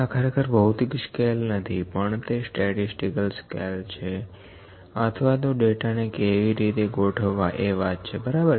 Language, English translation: Gujarati, These are not the scales the physical scales, these are actually statistical scales or the scales how the data is organised, ok